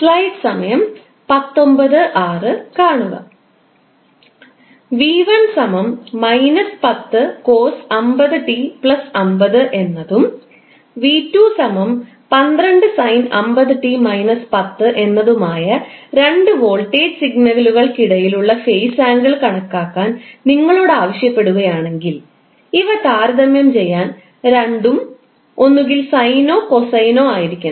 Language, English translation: Malayalam, Now if you are asked to calculate the phase angle between two voltage signals, that is v1 is equal to minus 10 cost 50 t plus 50 degree and v2 is equal to 12 sine 50 t minus 10 degree